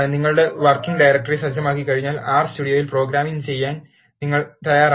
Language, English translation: Malayalam, Once you set the working directory, you are ready to program in R Studio